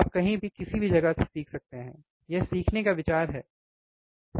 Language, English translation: Hindi, You can learn from anywhere, any place, that is the idea of the learning, right